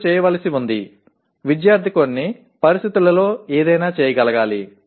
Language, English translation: Telugu, You have to, the student should be able to do something under some conditions